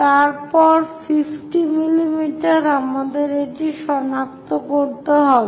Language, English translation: Bengali, Then 50 mm, we have to locate it